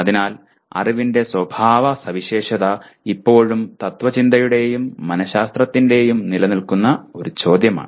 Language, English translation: Malayalam, So, the problem of characterizing knowledge is still an enduring question of philosophy and psychology